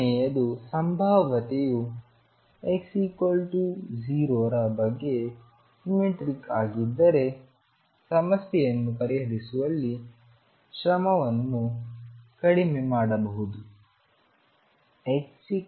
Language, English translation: Kannada, And third this is important if the potential is symmetric about x equals 0, one can reduce effort in solving the problem